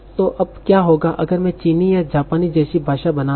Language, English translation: Hindi, So now what happens if I'm taking a language like Chinese or Japanese